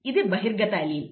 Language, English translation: Telugu, These are the alleles